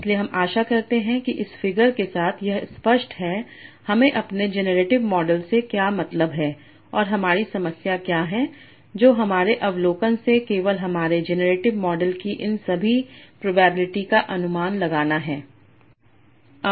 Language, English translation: Hindi, So I hope with this figure this clear what do I mean my generative model and what is my problem that is to infer all these probabilities of my general model only from my observation